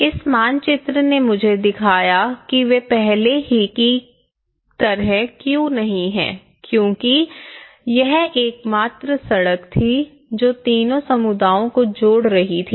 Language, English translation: Hindi, This map, have shown me why they are not because earlier, this is the only street which was connecting all the three communities